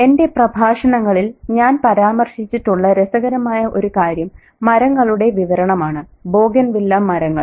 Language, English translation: Malayalam, So the interesting thing here once again, which I've made a reference to in my lectures, is the description of the trees, the Bougainville tree